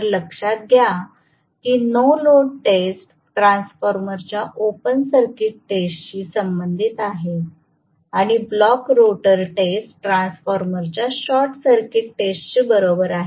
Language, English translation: Marathi, So, please realize that the no load test is corresponding to open circuit test of a transformer and block rotor test is equal to short circuit test of a transformer